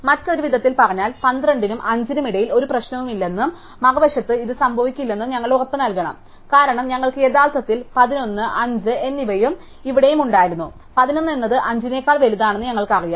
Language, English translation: Malayalam, In other words, we have to guaranty that there is no problem and the other side between 12 and 5 and this cannot happen, because we originally had 11, 5 and something here, we knew that 11 was bigger than 5 and it to bigger than the something, then we did an exchange and be bought at 12 here